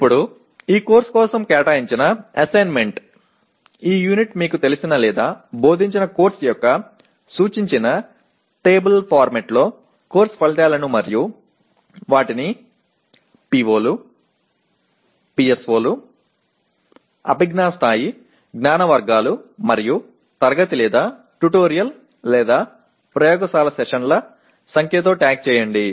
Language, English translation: Telugu, Now the assignment for this course, this unit is write course outcomes in the table format indicated of a course you are familiar with or taught and tag them with POs, PSOs, cognitive level, knowledge categories and the number of class or tutorial/laboratory sessions if there are any